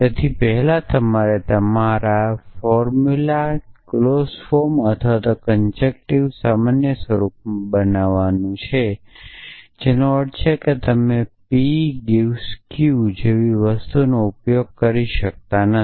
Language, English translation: Gujarati, So, we have to first construct your formulas in clause form or conjunctive normal form which means that you cannot use things like P imply Q